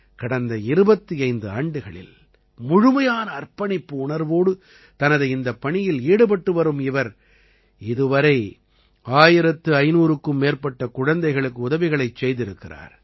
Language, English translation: Tamil, He has been engaged in this task with complete dedication for the last 25 years and till now has helped more than 1500 children